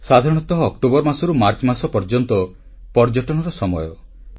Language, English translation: Odia, Generally, October to March is the suitable time for tourism